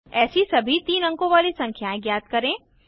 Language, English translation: Hindi, Find all such 3 digit numbers